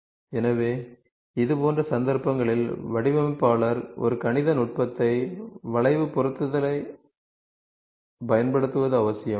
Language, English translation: Tamil, So, in such cases it is necessary for the designer to use a mathematical technique, of curve fitting